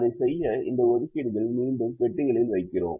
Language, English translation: Tamil, we again put all these assignments in the boxes